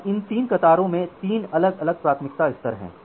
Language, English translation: Hindi, Now these 3 queues has 3 different priority levels